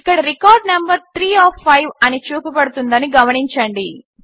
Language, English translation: Telugu, Notice that the record number 3 of 5 is displayed here